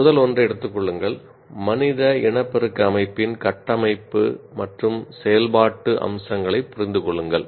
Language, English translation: Tamil, Then take the first one, understand the structural and functional features of human reproductive system